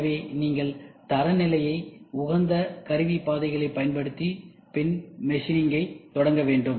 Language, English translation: Tamil, So, you use standard have optimized tool paths, and then start machining it